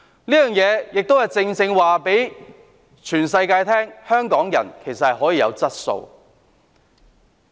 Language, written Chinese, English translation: Cantonese, 這亦正正讓全世界知道，香港人其實是有質素的。, This can precisely tell everyone in the world that Hongkongers are in fact people of quality